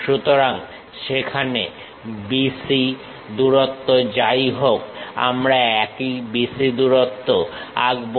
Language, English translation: Bengali, So, whatever the B C length is there the same B C length we will draw it